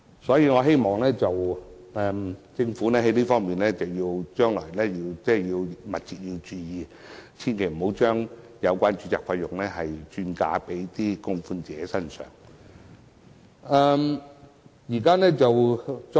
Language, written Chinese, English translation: Cantonese, 所以，我希望政府將來密切注意這方面，別讓有關註冊費轉嫁到供款者身上。, In this connection I hope the Government will closely monitor this in the future so that such registration fees will not be transferred onto contributors